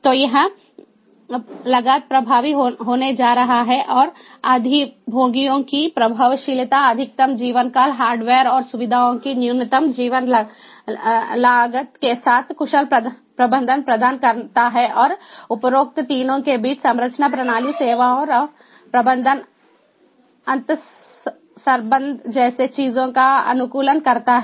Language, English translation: Hindi, ah, you know, is going to reduce, so it is going to be cost efficient, maximizes theeffectiveness of the occupants, provides efficient management with minimum life time costs of hardware and facilities and optimizes things such as structures, systems, services and management interrelationships between the above three